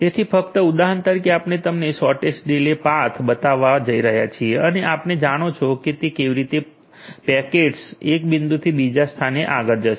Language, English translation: Gujarati, So, for just example sake we are going to show you the shortest delay path and you know how it is going to forward the packets from 1